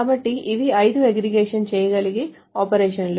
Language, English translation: Telugu, So these are the five aggregation operations that can be done